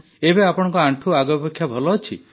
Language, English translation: Odia, So now your knee is better than before